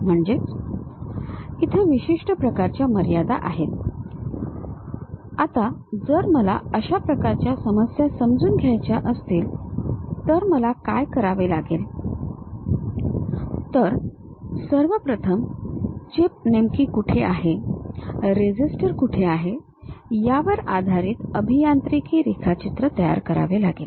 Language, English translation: Marathi, So, certain kind of boundary conditions are there; now, if I would like to understand such kind of problem what I have to do is, first of all construct an engineering drawing based on where exactly chip is located, where resistor is present